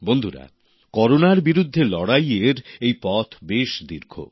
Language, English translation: Bengali, the path of our fight against Corona goes a long way